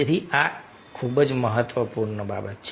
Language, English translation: Gujarati, so these are very, very important things